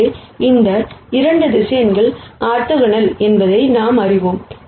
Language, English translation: Tamil, So, we know that these 2 vectors are orthogonal